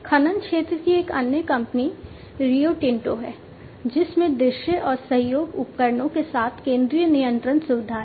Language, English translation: Hindi, Another company in the mining sector is the Rio Tinto, which has the central control facility with visualization and collaboration tools